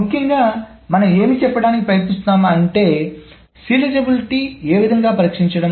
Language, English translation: Telugu, So essentially what we are trying to say is testing for serializability